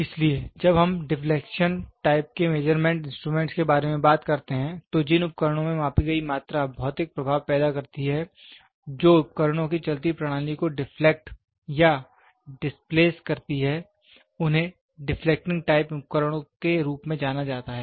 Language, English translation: Hindi, So, when we talk about deflection type measurement instruments, the instruments in which the measured quantity produces physical effects which deflects or displaces the moving system of the instruments is known as the deflecting type instruments